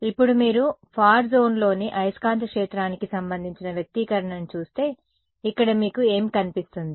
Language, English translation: Telugu, Now, if you look at the expression for the magnetic field in the far zone, over here what do you see